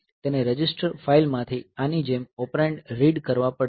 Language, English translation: Gujarati, So, it has to read operands from the register file like